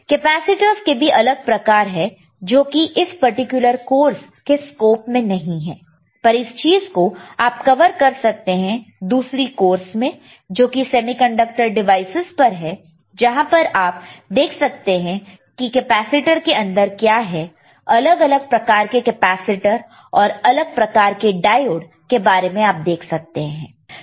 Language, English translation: Hindi, So, again capacitors are several types again this is not a scope of this particular course, but that can be that can cover under a different course on semiconductor devices, where we can see what is then within the capacitor what are kind of capacitor the kind of diodes